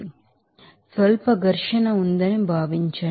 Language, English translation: Telugu, So, assume that there is a negligible friction